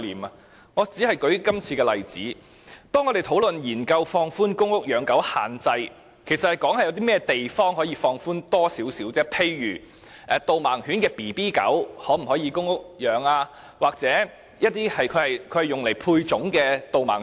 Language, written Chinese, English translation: Cantonese, 舉例而言，在今次的例子中，當我們研究放寬公屋養狗限制的問題時，其實是討論有哪些地方可以稍作放寬，例如公屋可否飼養導盲犬幼犬或用以配種的導盲犬。, For example in the above example when we explored the possibility of relaxing the restriction on pet - keeping in PRH estates we actually tried to identify areas where relaxation could be made for example could young guide dogs or guide dogs used for breeding purpose be kept in PRH units?